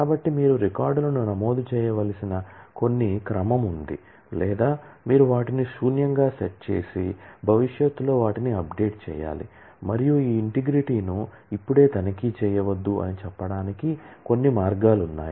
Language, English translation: Telugu, So, there is some order in which you have to enter the records or you have to set them as null and then update them in future and or some ways to say that well do not check this integrity now